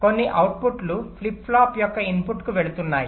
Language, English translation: Telugu, o, some outputs are going to the input of the flip flop